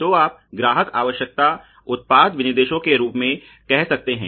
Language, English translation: Hindi, So, the customer requirement you can say into the product specifications